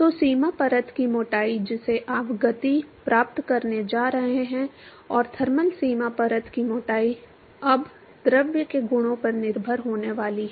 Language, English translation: Hindi, So, the boundary layer thickness that you are going to get the momentum and thermal boundary layer thickness is now going to be dependent on the properties of the fluid